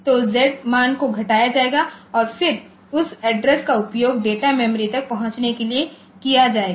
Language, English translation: Hindi, So, Z value will be decremented and then that address will be used to access the data memory